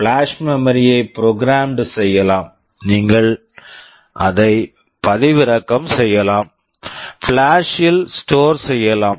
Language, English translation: Tamil, Flash memory can be programmed on the fly, you can download it, you can store in flash